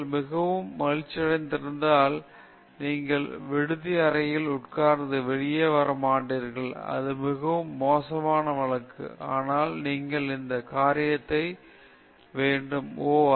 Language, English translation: Tamil, If you are too unhappy, then you will sit in the hostel room and you will not come out, that is the extreme case; but you should have some this thing, oh